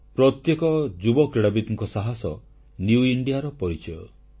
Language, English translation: Odia, Every young sportsperson's passion & dedication is the hallmark of New India